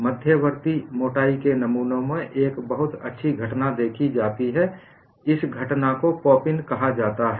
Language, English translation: Hindi, In intermediate thickness specimens, a very nice phenomenon is observed; the phenomenon is called pop in